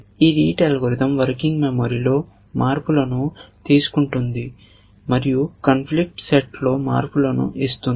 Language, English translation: Telugu, This algorithm rete algorithm takes changes in working memory and gives you changes in the conflicts set